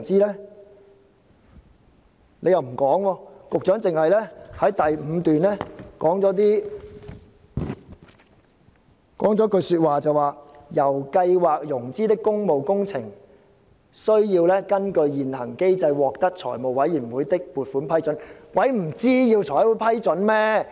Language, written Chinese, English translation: Cantonese, 局長又不說，只在第五段提到："由計劃融資的工務工程，須......根據現行機制獲得財務委員會的撥款批准。, The Secretary did not give an answer and it is only mentioned in the fifth paragraph that All public works projects under the Programme must be approved by FC under the existing mechanism